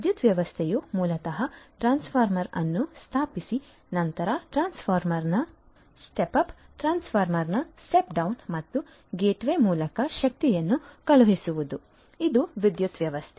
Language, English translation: Kannada, Power system basically setting up of the transformer then stepping sorry stepping up of the transformer, stepping down of the transformer and sending the data sorry sending the energy through the gateway this is this power system